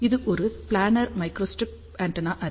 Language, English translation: Tamil, So, this is a planar microstrip antenna array